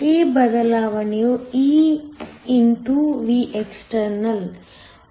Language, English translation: Kannada, This shift is nothing but e x Vext